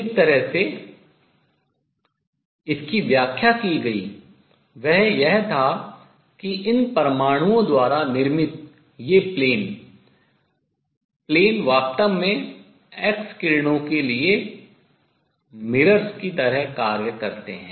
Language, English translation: Hindi, The way it was explained was that these planes, planes form by these atoms actually act like mirrors for x rays